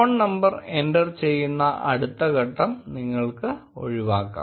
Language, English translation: Malayalam, You may skip entering your phone number in the next step